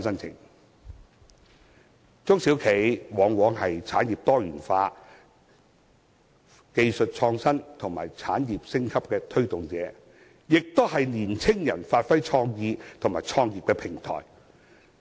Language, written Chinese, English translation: Cantonese, 中小企往往是產業多元化、技術創新及產業升級的推動者，亦是讓青年人發揮創意及創業的平台。, SMEs often drive the diversified development and upgrading of industries and the enhancement of technologies . They also serve as a platform for young people to display their creativity and set up their business